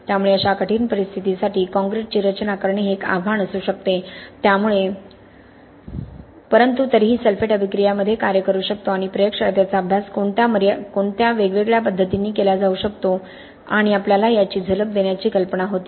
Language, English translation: Marathi, So designing concrete for such tricky conditions can be quite a challenge, but anyway the idea was to give you a glimpse of what sulphate attack can do in concrete and what are the different ways in which this can be studied in the lab and how we need to understand the limitations or what we can assist in the lab and apply it carefully to the field